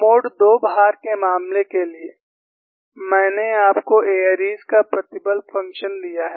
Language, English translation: Hindi, For the case of mode 2 loading, I have given you the airy stress function